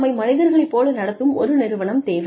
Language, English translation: Tamil, We need an organization, that treats us like human beings